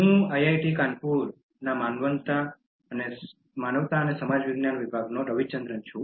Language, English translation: Gujarati, I am Ravichandran from the Department of Humanities and Social Sciences, IIT Kanpur